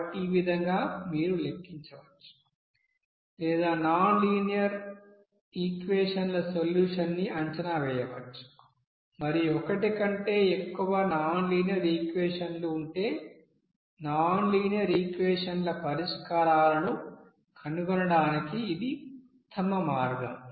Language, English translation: Telugu, So in this way you can you know calculate or you can estimate the solution of nonlinear equation and this is the best way to find out the you know solution of nonlinear equation if there are more than one nonlinear equation